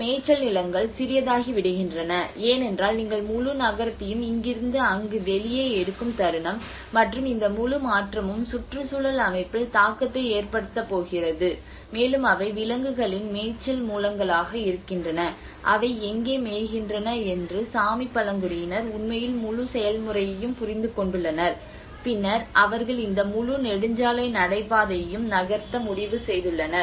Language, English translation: Tamil, And you know these grazing lands become smaller because the moment you are taking out the whole city from here to there and this whole transition is going to have an impact on the ecosystem you know and that has been the animal you know grazing sources where do they graze so that is what the Sami tribes have actually understood the whole process and then finally they have decided of they moved this whole highway corridor